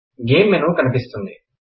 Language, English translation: Telugu, The Game menu appears